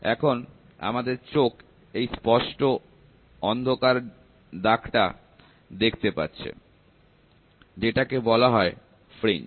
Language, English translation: Bengali, The eye is now able to see a distinct patch of darkness; these are dark darkness termed as fringes